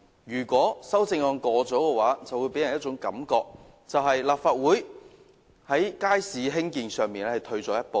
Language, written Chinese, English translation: Cantonese, 如果她的修正案獲得通過，便會令人覺得立法會在興建街市的立場退了一步。, Her amendment if passed will leave people with the impression that the Legislative Council has moved a step back on constructing markets